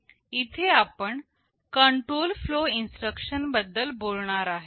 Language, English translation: Marathi, Here we shall be talking about the control flow instructions